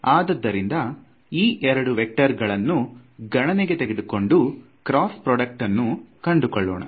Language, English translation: Kannada, So, similarly I can take these two vectors and take a cross product